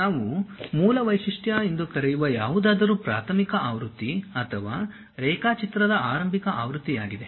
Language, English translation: Kannada, Anything what we call base feature is the preliminary version or the starting version of the drawing